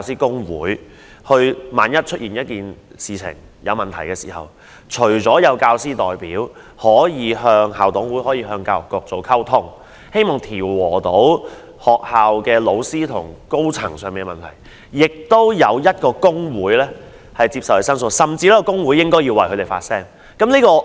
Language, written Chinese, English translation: Cantonese, 在出現問題時，除了有教師代表可跟校董會及跟教育局溝通，藉以調和老師與學校高層之間的矛盾外，亦有一個工會接受教師申訴，甚至為他們發聲。, When problems come up apart from teacher representatives who can communicate with IMCs and the Education Bureau to resolve the conflicts between teachers and the top management of the school the General Teaching Council can accept the teachers complaints or even speak for them